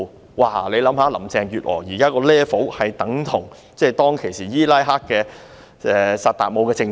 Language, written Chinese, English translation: Cantonese, 大家試想一想，現在林鄭月娥的 level 等同當時伊拉克的薩達姆政權。, Now Carrie LAMs level is equivalent to that of the HUSSEIN regime in Iraq back then